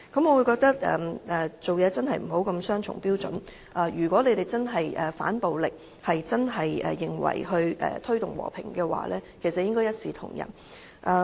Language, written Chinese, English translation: Cantonese, 我認為行事不應雙重標準，如果他們真的要反暴力，真的認為要推動和平，便應一視同仁。, I do not think one should adopt such double standards . If they truly oppose violence and really consider the promotion of peace necessary they should treat all equally